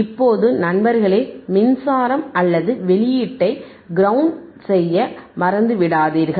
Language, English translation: Tamil, Now, do not forget guys, to ground the power supply or the output